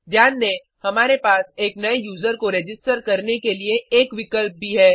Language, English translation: Hindi, Notice, we also have an option to register as a new user